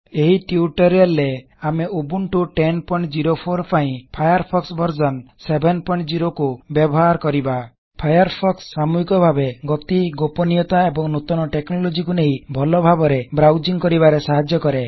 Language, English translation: Odia, In this tutorial, we will use Firefox version 7.0 for Ubuntu 10.04 Firefox makes browsing better by bringing together speed, privacy and latest technologies